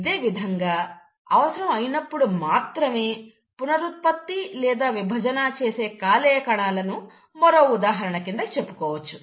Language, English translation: Telugu, Same example, similarly you find that the liver cells, they regenerate, they divide only when the need is